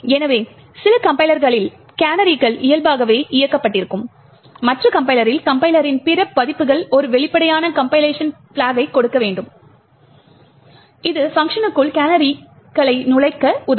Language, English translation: Tamil, So, in some compilers the canaries are enable by default while in other compiler, other versions of the compiler you would have to give an explicit compilation flag that would enable canaries to be inserted within functions